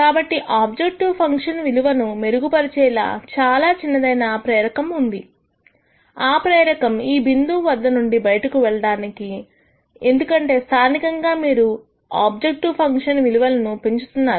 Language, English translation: Telugu, So, there is very little incentive to improve your objective function value, sorry a very little incentive to move away from this point because locally you are increasing your objective function value